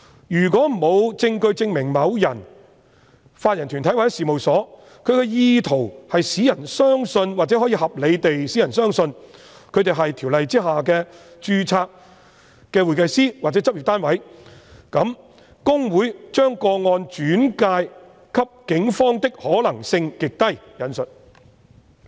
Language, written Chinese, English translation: Cantonese, 如果沒有證據證明某人、法人團體或事務所有意圖使人相信或可以合理地使人相信他們是《條例》下的註冊會計師或執業單位，那麼："公會把個案轉介警方的可能性極低"。, If there is no evidence that an individual body corporate or firm has the intention to mislead or that it may reasonably cause any person to believe that the subject person or company is an HKICPA - registered member or practice unit under the Ordinance then and I quote it is still unlikely for HKICPA to refer to the Police a complaint . That is the assertion of both Mr LEUNG and HKICPA